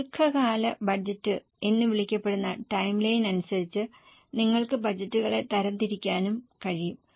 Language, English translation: Malayalam, You can also classify the budgets as per the timeline that will be called as a long term budget